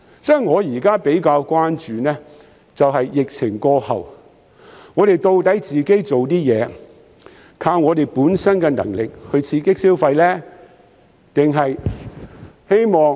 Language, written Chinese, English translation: Cantonese, 所以，我現時比較關注的是疫情過後，我們做的東西、本身的能力能否刺激消費。, Therefore I am currently more concerned about whether our measures and our efforts can stimulate the economy after the epidemic